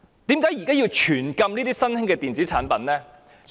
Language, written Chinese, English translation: Cantonese, 為何現時卻要全面禁止新興的電子煙產品？, Why is it necessary to ban the emerging e - cigarette products completely now?